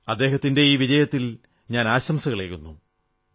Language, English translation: Malayalam, I congratulate him on his success